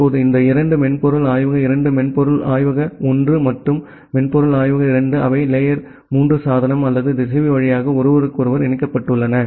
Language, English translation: Tamil, Now, these two software lab 2 software lab 1 and software lab 2, they are connected with each other via layer 3 device or a router